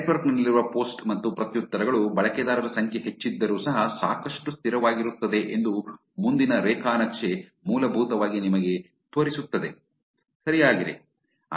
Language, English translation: Kannada, The next graph is essentially showing you that the post and the replies that, that is there in the network is actually pretty constant even though the number of users are increased, correct